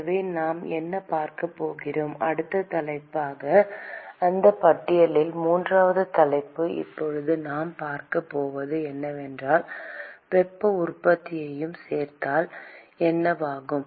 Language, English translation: Tamil, So, what we are going to see the next topic is going to be the so, the third topic in that list which is what we are going to see now is, what happens when we include heat generation